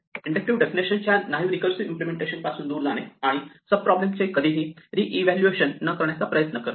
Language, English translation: Marathi, So, what we want to do is move away from this naive recursive implementation of an inductive definition, and try to work towards never reevaluating a sub problem